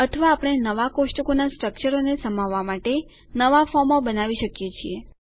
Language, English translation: Gujarati, Or we can build new forms to accommodate new table structures